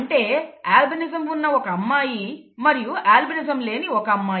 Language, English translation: Telugu, A female who has albinism marries a male without albinism and they have children